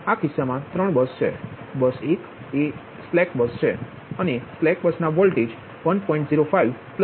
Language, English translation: Gujarati, so in this case three buses: bus one is a slack bus and bus slack bus voltage at mean